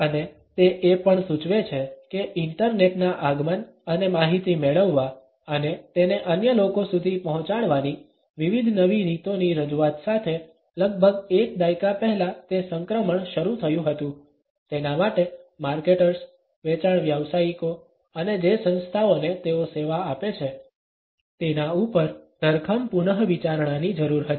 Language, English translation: Gujarati, And he also suggests that the transition that had started about a decade ago with the arrival of the internet and the introduction of various new ways of accessing information and passing it onto others, required a significant rethinking on the people of marketers, sales professionals and the organisations they serve